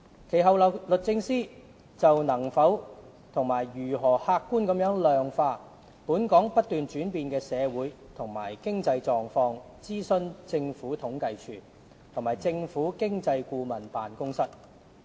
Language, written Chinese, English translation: Cantonese, 其後，律政司就能否和如何客觀地量化"本港不斷轉變的社會和經濟狀況"，諮詢政府統計處及政府經濟顧問辦公室。, The Department of Justice DoJ then consulted the Census and Statistics Department and the Office of the Government Economist on whether and if so how the changing social and economic conditions of Hong Kong could be quantified objectively